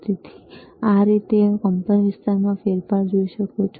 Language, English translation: Gujarati, So, this is how you can see the change in the amplitude,